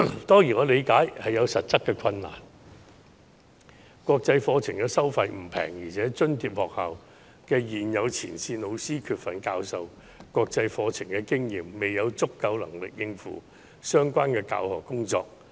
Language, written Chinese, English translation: Cantonese, 當然，我理解這做法有其實質困難，原因是國際課程的收費不便宜，而且津貼學校現有的前線老師缺乏教授國際課程的經驗，未有足夠能力應付相關的教學工作。, Of course I understand the practical difficulties in implementing this proposal because the fees for international curriculum are hardly on the low side and incumbent frontline teachers of subsidized schools who lack experience in teaching international curriculum will not be capable of taking up the relevant teaching duties